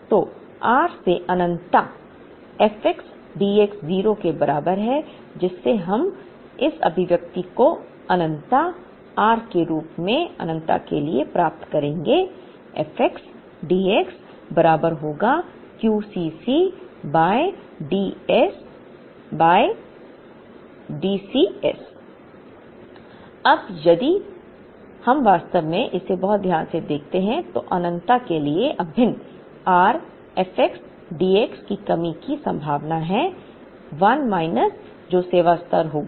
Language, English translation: Hindi, So, r to infinity f x d x equal to 0, from which we would get this expression integral r to infinity f x d x will be equal to Q C c by D C s Now, if we actually observe it very carefully, integral r to infinity f x d x is the probability of occurrence of shortage, 1 minus that will be the service level